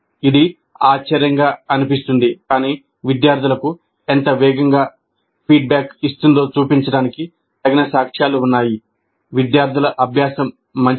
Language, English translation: Telugu, It looks surprising, but there is considerable amount of evidence to show that the faster, the quicker the feedback provided to the students is the better will be the students learning